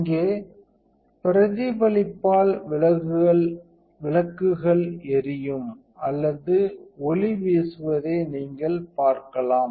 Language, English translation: Tamil, And you can see the lights turned on by the reflection here or you can see the light blowing